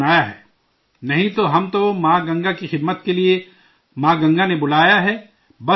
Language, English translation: Urdu, Otherwise, we have been called by Mother Ganga to serve Mother Ganga, that's all, nothing else